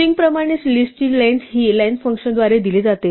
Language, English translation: Marathi, As with a string, the length of the list is given by the function len